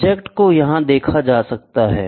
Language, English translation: Hindi, So, the object is viewed here